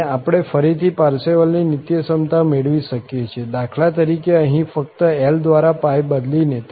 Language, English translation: Gujarati, And we can again, for instance here can get the Parseval's Identity just by replacing this pi by L